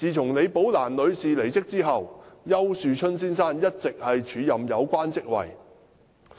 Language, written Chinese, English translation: Cantonese, 自李寶蘭女士離職後，丘樹春先生一直署任有關職位。, Mr Ricky YAU has taken up acting appointment to the post in question since Ms LIs departure